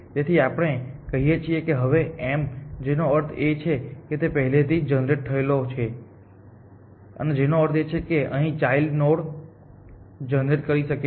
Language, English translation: Gujarati, So, let us say now this is m, which means it was already generated before which means it could have other children